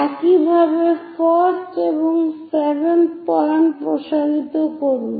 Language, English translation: Bengali, Similarly, extend 1 and 7th point